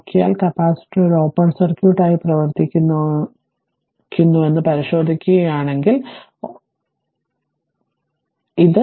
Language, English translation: Malayalam, So, ah if you if you look, if you look into that the capacitor acts an open circuit acts as an open circuit right